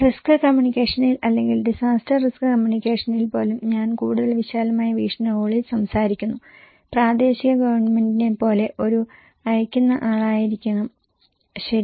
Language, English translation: Malayalam, So, one in risk communication or in even in disaster risk communications, I am talking in a more, broader perspective, there should be one sender like local government okay